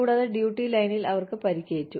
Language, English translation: Malayalam, And, they got hurt, in the line of duty